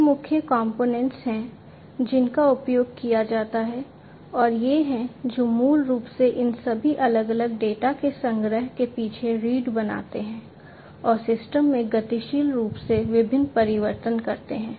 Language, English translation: Hindi, These are the core components, which are used and these are the ones, which basically form the backbone behind the collection of all these different data and making different changes dynamically to the system